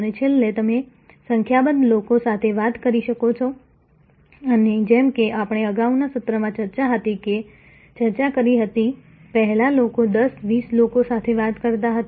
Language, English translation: Gujarati, And lastly, of course, you can talk to number of people and as we discussed in the previous session, earlier people used to talk to may be 10, 20